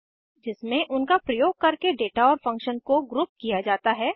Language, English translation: Hindi, In which the data and the function using them is grouped